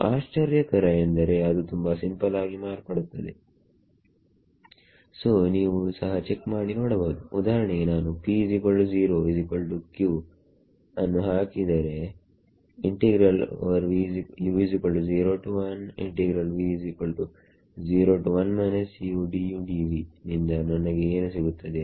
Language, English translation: Kannada, So, surprising that it turns out to be so simple; so, you can check for example, if I put T is equal to 0 is equal to q